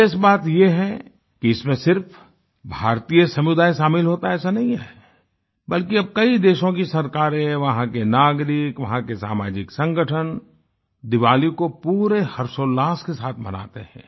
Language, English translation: Hindi, And notably, it is not limited to Indian communities; even governments, citizens and social organisations wholeheartedly celebrate Diwali with gaiety and fervour